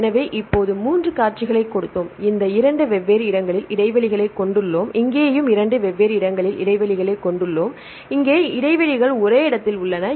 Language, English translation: Tamil, So, now we gave the 3 sequences the same 3 sequences here we have the gaps at 2 different places and here also we have the gaps at 2 different places and here the gaps are at the same place